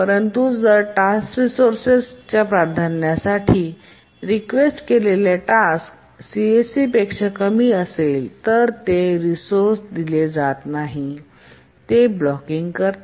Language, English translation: Marathi, But if the task requesting the resource priority of the task is less than CSEC, it is not granted the resource and it blocks